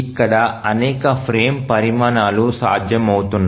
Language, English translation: Telugu, We will find that several frame sizes are becomes possible